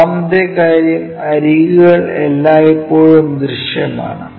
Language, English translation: Malayalam, And, second thing edges are always be visible